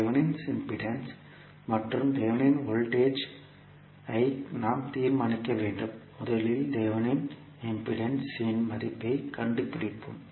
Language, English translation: Tamil, We have to determine the Thevenin impedance and Thevenin voltage, first let us find out the value of Thevenin impedance